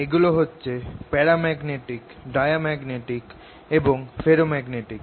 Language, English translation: Bengali, these are paramagnetic, diamagnetic and ferromagnetic